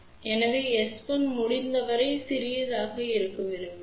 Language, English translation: Tamil, So, we would prefer S 2 1 to be as small as possible